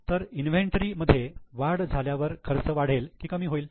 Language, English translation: Marathi, So, increase in the inventory will it increase the expense or reduce the expense